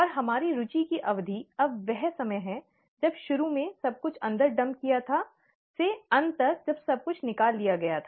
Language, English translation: Hindi, And our period of interest now is the time when from start, after everything has been dumped in, to end before everything has been taken out